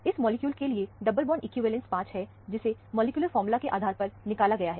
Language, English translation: Hindi, The double bond equivalence is 5 for this molecule, calculated based on the molecular formula